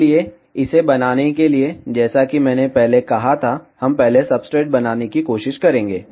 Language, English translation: Hindi, So, just to make this I as I said firstly, we will try to make the substrate first